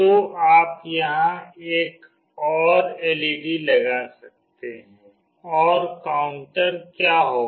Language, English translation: Hindi, So, you can put another LED here and what will be the counter